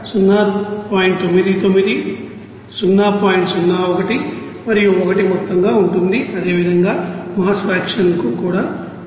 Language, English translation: Telugu, 01 and 1 as a total, and similarly for to the mass fractions